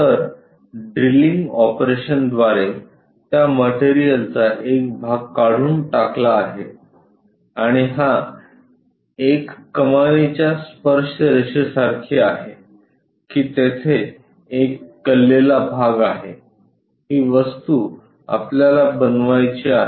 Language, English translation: Marathi, So, through drilling operation this part of that material is removed and this is more like an arch tangent to that there is an inclined portion, this is the object what we would like to construct